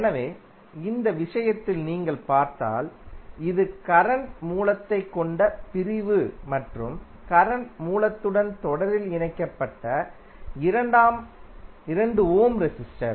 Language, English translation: Tamil, So, in this case if you see this is the segment which has current source and 2 ohm resistor connected in series with the current source